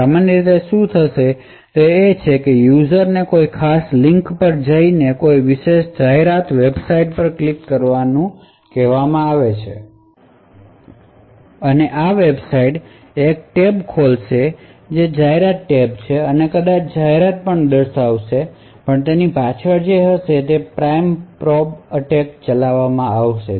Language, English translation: Gujarati, So what would typically happen is that the user is made to go to a particular link and click on a particular advertising website and this website would open a tab which is an advertisement tab and maybe show display an advertisement but also in the background it would be running the prime and probe attack